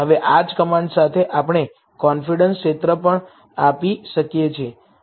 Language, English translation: Gujarati, Now, with the same command, we can give the confidence region as well